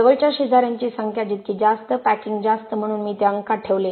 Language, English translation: Marathi, More number of nearest neighbors, higher the packing therefore I put that in the numerator